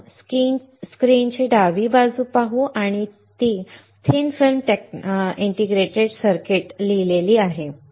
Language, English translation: Marathi, First let us see the left side of the screen and that is written thin film integrated circuit